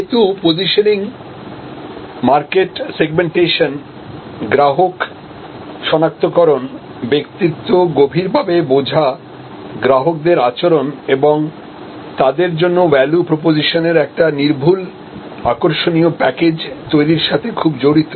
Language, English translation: Bengali, So, that is why positioning is very closely allied to segmentation, market segmentation, customer identification, deeply understanding the persona, the behaviour of customers and creating an unassailable attractive package of value propositions for them